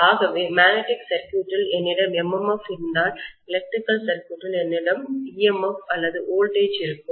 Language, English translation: Tamil, So if I have MMF in the magnetic circuit, in the electric circuit, I have EMF or voltage